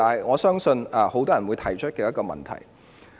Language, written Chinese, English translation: Cantonese, 我相信這是很多人會提出的問題。, I believe this is the most frequently asked question